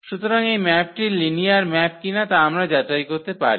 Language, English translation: Bengali, So, whether this map is a linear map or not we can verify this